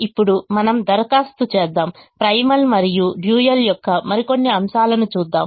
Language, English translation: Telugu, now let us apply, let us look at some more aspects of the primal and the dual